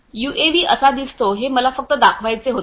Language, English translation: Marathi, So, let me just show you how a UAV looks physically